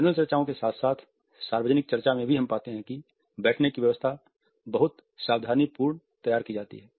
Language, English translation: Hindi, In panel discussions as well as another public discussions we find that the physical arrangement of seating is very meticulously designed